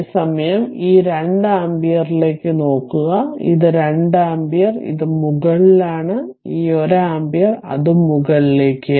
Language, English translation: Malayalam, And at the same time this 2 ampere just look into this; this 2 ampere, it is upward right; and this 1 ampere, it is also upward